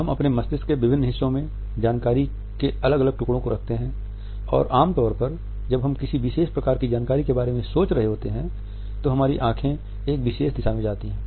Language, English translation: Hindi, We hold different pieces of information in different parts of our brain and usually when we are thinking about a particular top of information, our eyes will go in one particular direction